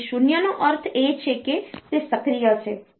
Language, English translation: Gujarati, So, 0 means it is active